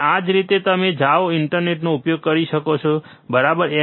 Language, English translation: Gujarati, And this is the way you go and learn useing internet, right